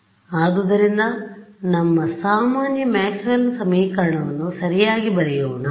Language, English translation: Kannada, So, let us just write down our usual Maxwell’s equation right